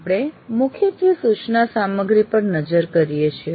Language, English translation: Gujarati, , we mainly look at the instruction material